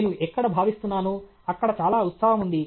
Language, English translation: Telugu, Where is it I feel, there is that there is lot of excitement